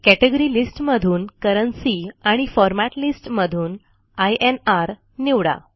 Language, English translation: Marathi, Select Currency from the Category List and INR from the Format List